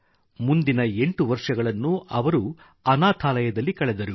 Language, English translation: Kannada, Then he spent another eight years in an orphanage